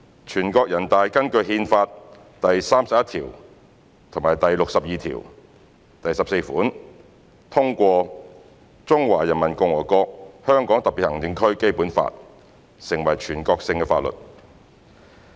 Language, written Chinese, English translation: Cantonese, 全國人大根據《憲法》第三十一條及第六十二條第十四款通過《中華人民共和國香港特別行政區基本法》成為全國性法律。, NPC adopted the Basic Law of HKSAR of the Peoples Republic of China Basic Law as a national law in accordance with Articles 31 and 6214 of the Constitution